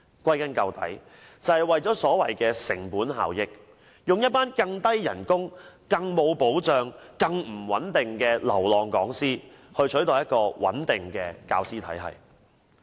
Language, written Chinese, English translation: Cantonese, 歸根究底，就是為了所謂的成本效益，以工資更低、更沒保障、更不穩定的流浪講師取代穩定的教師體系。, They replace a stable teaching system with a low - paid unstable system made up of wandering lecturers who are not given any protection